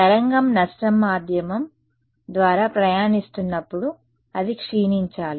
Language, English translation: Telugu, Right as the wave is traveling through a lossy medium, it should decay